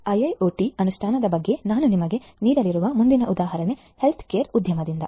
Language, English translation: Kannada, The next example that I am going to give you of IIoT implementation is from the healthcare industry